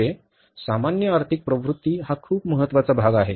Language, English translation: Marathi, So, means general economic trends are very important part